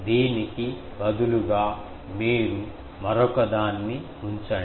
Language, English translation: Telugu, Suppose instead this, you put another one